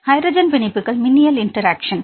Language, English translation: Tamil, Hydrogen bonds electrostatic interactions